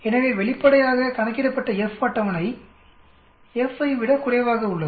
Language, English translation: Tamil, So obviously, the F calculated is less than the F table